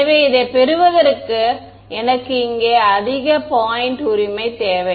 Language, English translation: Tamil, So, in order to get this I also need at the same point over here I need this right